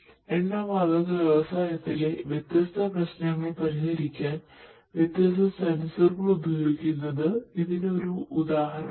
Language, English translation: Malayalam, So, this is just an example like this different different sensors could be used to solve different problems in the oil and gas industry